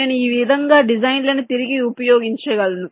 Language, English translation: Telugu, ok, i can reuse the designs in this way